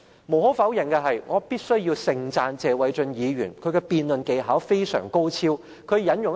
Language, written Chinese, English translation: Cantonese, 無可否認，謝偉俊議員的辯論技巧非常高超，我必須要盛讚他。, It is undeniable that Mr Paul TSE is most eloquent and skilled in debate and I must sing high praises of him